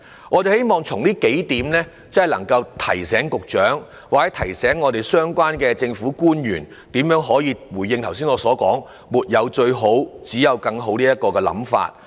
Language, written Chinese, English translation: Cantonese, 我們希望提出以下幾點，以提醒局長或相關政府官員，如何秉持我剛才所說"沒有最好，只有更好"的信念。, I hope the following points will remind the Secretary and relevant officials how to uphold the aforesaid belief of what is good can always be better